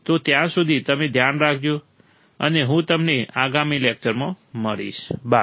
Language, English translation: Gujarati, So, till then you take care, and I will see you in the next lecture, bye